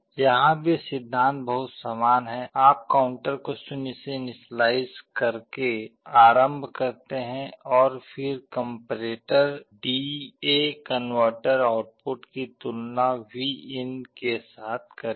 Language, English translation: Hindi, Here also the principle is very similar, you start by initializing the counter to 0 and then the comparator will be comparing D/A converter output with Vin